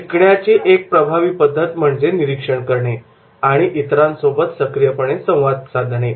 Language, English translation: Marathi, Now a powerful way to learn is through observing and interacting with others